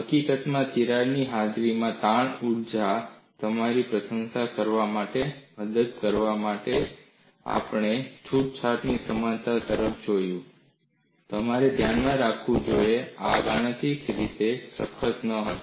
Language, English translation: Gujarati, In fact, to aid your appreciation of strain energy in the presence of a crack, we looked at relaxation analogy; you should keep in mind, these were not mathematically rigorous